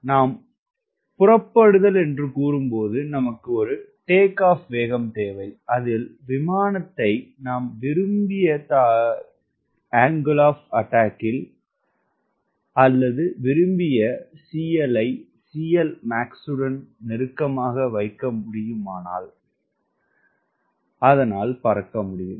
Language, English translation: Tamil, when you say take off, you need a takeoff speed at which, if you can put the aircraft at a desired angle of attack or desired c l closer to c l max, and it should be able to lift off